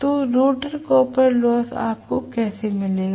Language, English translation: Hindi, So, rotor copper loss how will you get it